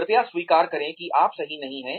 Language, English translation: Hindi, Please admit, that you are not perfect